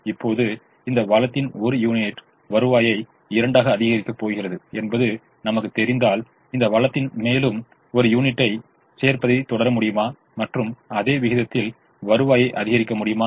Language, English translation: Tamil, is it true that if i know that one unit of this resource is going to increase the revenue by two, can i keep on adding one more unit of this resource and keep on increasing the revenue at the same rate